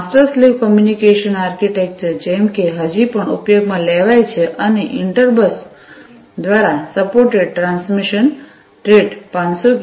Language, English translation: Gujarati, Master slave communication architecture like, before is still being used and the transmission rate that is supported by inter bus is 500 kbps